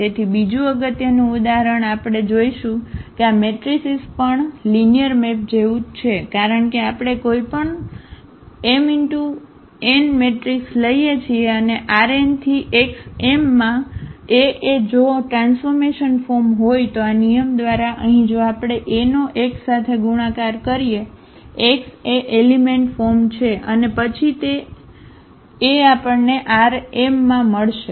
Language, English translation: Gujarati, So, another very important example we will see that these matrices are also like linear maps because of the reason we take any m cross n matrix and A is the transformation from this R n to X m by this rule here that if we multiply A to this x; x is an element from this R n then we will get element a in R m